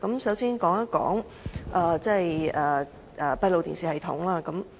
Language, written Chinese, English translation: Cantonese, 首先說一說閉路電視系統。, Let me first talk about the one about CCTV system